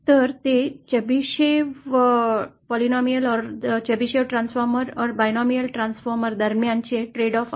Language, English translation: Marathi, So that is a paid off between Chebyshev polynomial or the Chebyshev transformer or the binomial transformer